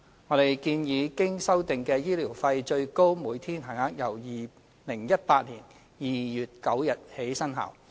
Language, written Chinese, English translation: Cantonese, 我們建議經修訂的醫療費最高每天限額由2018年2月9日起生效。, We propose that the revised maximum daily rates of medical expenses should become effective from 9 February 2018